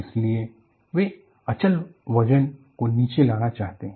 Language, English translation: Hindi, So, they want to bring down the dead weight